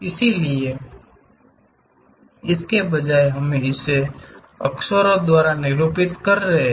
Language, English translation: Hindi, So, here instead of that, we are denoting it by letters